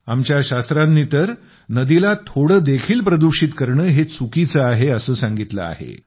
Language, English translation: Marathi, Our scriptures distinctly disapprove of polluting rivers, even a bit